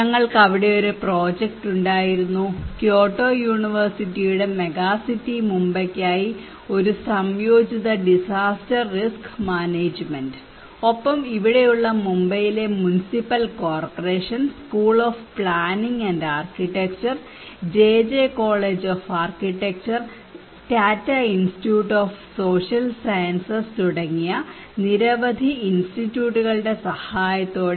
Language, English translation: Malayalam, We had a project there, one integrated disaster risk management for megacity Mumbai by Kyoto University, along with in collaboration with the Municipal Corporation of here in Mumbai and school of planning and architecture and other many Institutes like JJ College of Architecture, Tata Institute of Social Science